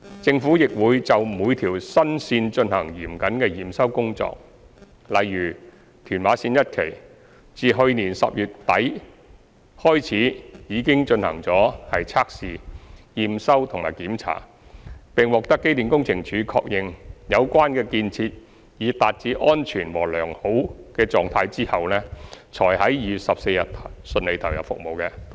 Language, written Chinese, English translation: Cantonese, 政府亦會就每條新線進行嚴謹的驗收工作，例如屯馬綫一期，自去年10月底開始已進行測試、驗收和檢查，並獲機電工程署確認有關建設已達至安全和良好的狀態後，才於2月14日順利投入服務。, The Government also conducted stringent acceptance work for each new railway line . For example TML1 was commissioned smoothly on 14 February after conducting trials acceptance tests and inspections since the end of October 2019 and the concerned railway facilities were confirmed as safe and in sound condition by the Electrical and Mechanical Services Department